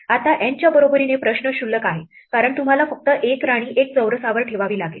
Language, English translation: Marathi, Now for N equal to one the question is trivial, because you only have to put 1 queen on 1 square